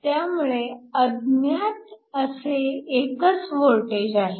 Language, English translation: Marathi, So, the only unknown is essentially the voltage